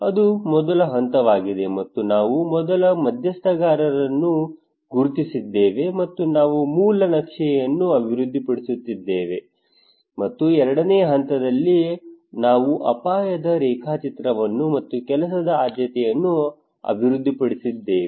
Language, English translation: Kannada, That was the phase one and that we first identified the stakeholder and we developed a base map and also Phase two we developed a risk mapping and prioritisation of work